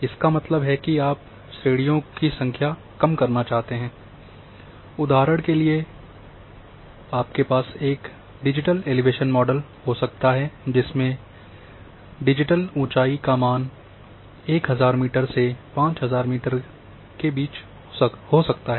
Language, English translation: Hindi, That means, to reduce number of classes for example you might be having digital elevation model where digital elevation values might be varying between say 1000 metre to 5000 metre